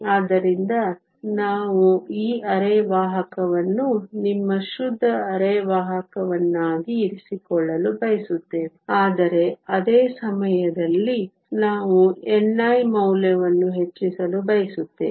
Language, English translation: Kannada, So, we want to keep this semiconductor your pure semiconductor, but at the same time, we want to increase the value of n i